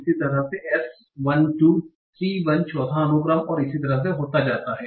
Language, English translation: Hindi, Similarly, S1 2, T1 becomes fourth sequence and so on